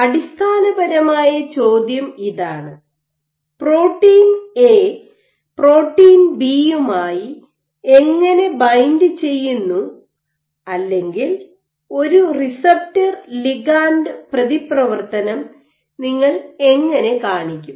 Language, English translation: Malayalam, Essentially the question is how do you show that a protein A binds to protein B, or like a receptor ligand interaction